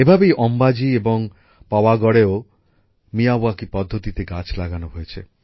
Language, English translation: Bengali, Similarly, saplings have been planted in Ambaji and Pavagadh by the Miyawaki method